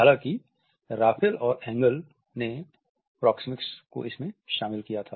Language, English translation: Hindi, Raffle and Engle had included proxemics